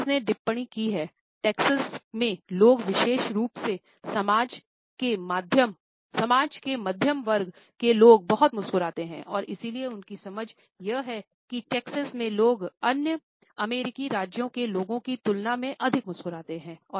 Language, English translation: Hindi, Pease has commented that people in Texas particularly either middle class sections of the society pass on too much a smiles and therefore, his understanding is that in Texas people smile more than people of other American states